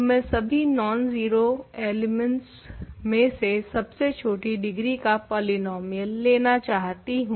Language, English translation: Hindi, So, I want to take the polynomial which is least degree among all non zero elements